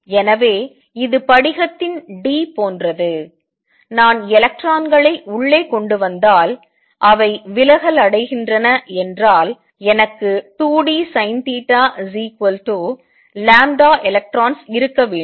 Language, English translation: Tamil, So, this becomes like the d of the crystal, and if I bring the electrons in and they diffract then I should have 2 d sin theta equals lambda electrons